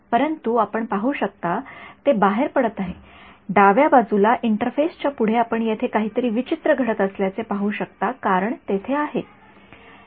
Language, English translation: Marathi, But you can see its leaking out, next to the left hand side interface you can see there is something strange happening over here that is because there is a